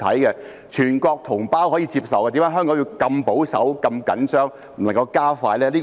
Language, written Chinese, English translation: Cantonese, 既然全國同胞可以接受，為甚麼香港要如此保守和緊張，不能加快呢？, Since our Mainland compatriots can accept this why is Hong Kong so conservative and nervous that it cannot speed up?